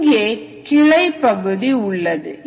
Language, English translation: Tamil, so this is the branching